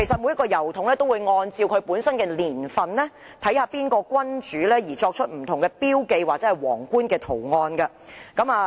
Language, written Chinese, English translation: Cantonese, 每個郵筒按照本身的年份，視乎當時在位的君主而刻有不同標記或皇冠圖案。, Each posting box is engraved with specific marking or crown sign indicating its year and the reigning monarch at the time